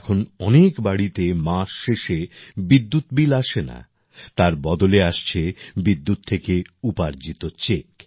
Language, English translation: Bengali, Now in many houses there, there is no electricity bill at the end of the month; instead, a check from the electricity income is being generated